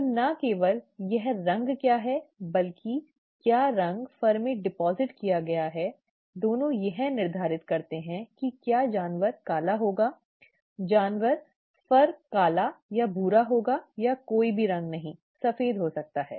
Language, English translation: Hindi, So the not only what colour it is, whether the colour will be deposited in the fur, both determine whether the animal turns out to be black, the animal fur turns out to be black or brown or no colour at all, white, maybe